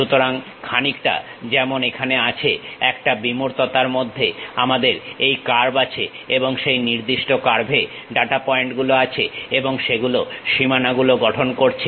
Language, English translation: Bengali, So, something like here, in a abstractions we have this curve or the data points on that particular curve and those forming boundaries